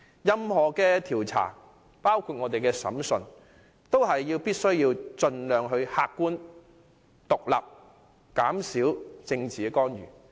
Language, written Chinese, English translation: Cantonese, 任何調查都必須盡量客觀、獨立及減少政治干預。, All inquiries including hearings should be objective independent and free from political intervention as far as possible